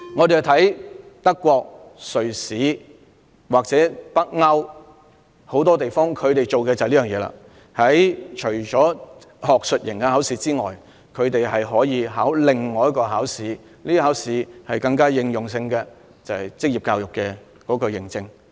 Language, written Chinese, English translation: Cantonese, 德國、瑞士和北歐很多地方都有這樣做，除了學術型考試外，學生還可以參加另一個應用能力考試，取得職業教育認證。, In Germany Switzerland and Scandinavia other than the examination on academic subjects students can also sit for another examination on their application skills and receive a vocational education certificate